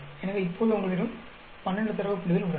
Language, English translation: Tamil, So now you have 12 data points